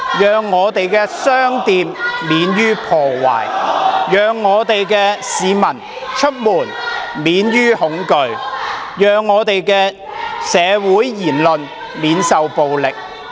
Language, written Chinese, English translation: Cantonese, 讓我們的商店免於破壞，讓我們的市民出門免於恐懼，讓社會言論免於暴力。, that is guarantee that shops will not be vandalized; guarantee that people will not be afraid when they go out and guarantee that public opinions will not be violently attacked